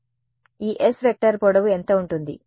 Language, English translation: Telugu, So, what will be the length of this s vector